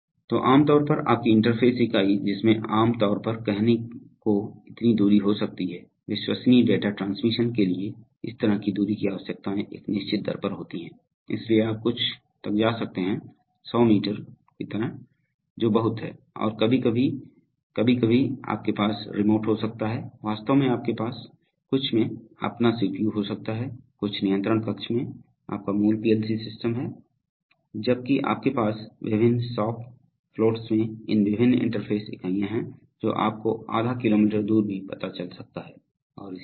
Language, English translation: Hindi, So typically your interface unit will, it can be say typically such distance, for reliable data transmission such distance requirements are there at a certain rate, so you can go up to something like an 100 meters which is a lot and sometimes you can have remote interfacing that is actually, you have, you may be having your CPU in some, that is your basic PLC system in some control room while you have these various interface units in the various shop floats, which could be even you know half a kilometer away and things like that